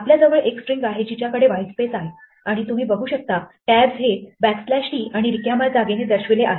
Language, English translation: Marathi, We have a string which has whitespace and you can see the tabs are indicated by backslash t and blanks